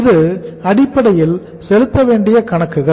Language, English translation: Tamil, So this is basically accounts payable